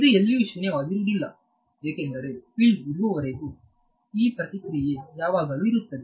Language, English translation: Kannada, It will be not be non zero anywhere because as long as there is a field this response is always going to be there